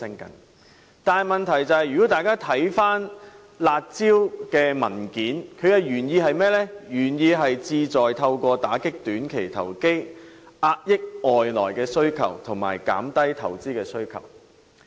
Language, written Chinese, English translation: Cantonese, 可是，大家看回有關"辣招"的文件便知道，它的原意是旨在透過打擊短期投機，遏抑外來需求及減低投資需求。, However according to the document on curb measures the objectives of the curb measures are to combat short - term speculation curb external demand and reduce investment demand